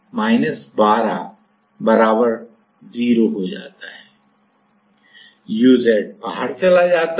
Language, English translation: Hindi, So, uz goes out